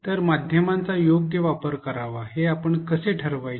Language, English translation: Marathi, So, how do we decide what is the optimum usage of media